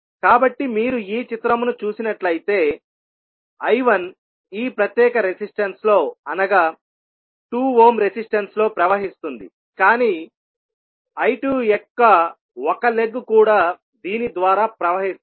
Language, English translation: Telugu, So, if you see this figure I 1 will be flowing in this particular resistance that is 2 ohm resistance but one leg of I 2 will also be flowing through this